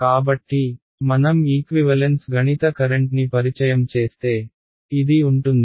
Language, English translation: Telugu, So, if I introduce a mathematical current which is equal to